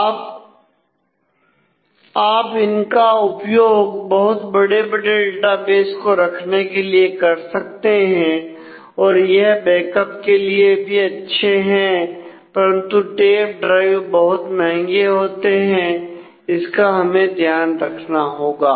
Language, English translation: Hindi, So, we can use them to hold really really large databases they are good for Backups and so, on, but the tape drives are quite expensive